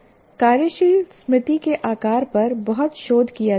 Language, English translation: Hindi, There is a lot of research done what is the size of the working memory